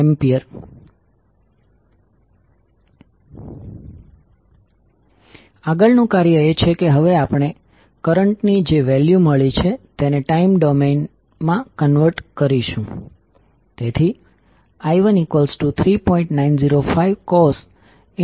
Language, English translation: Gujarati, Next task is that we will convert now the values of current we got into time domain